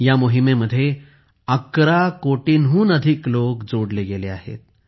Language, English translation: Marathi, More than 11 crore people have been connected with this campaign